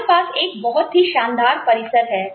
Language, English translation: Hindi, We have a fantastic campus